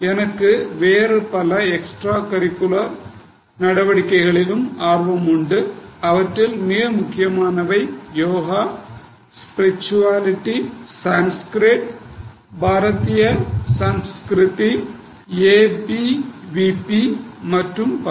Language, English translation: Tamil, I am also into various extracurricular but very important activities like yoga, spirituality or Sanskrit, Bharatiyya Sanskriti, ABVP and so on